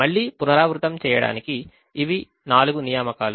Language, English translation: Telugu, so again to repeat, these are the four assignments